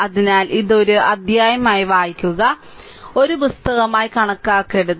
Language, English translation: Malayalam, So, you read it as a chapter do not at the book right